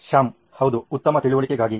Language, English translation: Kannada, Shyam: Yeah, for better understanding